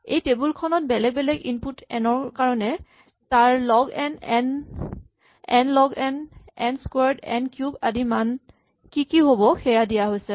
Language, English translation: Assamese, So, here is a table which tabulates for different values of input n what would be the corresponding values of log n, n, n log n, n squared and so on